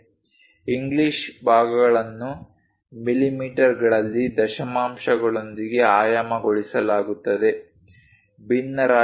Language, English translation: Kannada, English parts are dimensioned in mm with decimals, not fractions